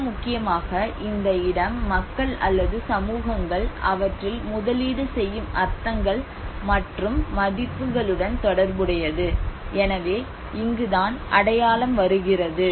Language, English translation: Tamil, More importantly, the place is associated with the meanings and the values that the people or the communities invest in them so this is where the identity comes in